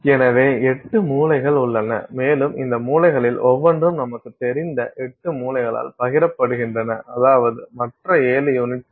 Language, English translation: Tamil, So, there are 8 corners and each of these corners is shared by eight other, you know, I mean seven other unit cells